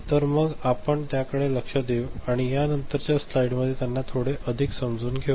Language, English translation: Marathi, So, we shall look into them this, and understand them a bit more in the subsequent slides ok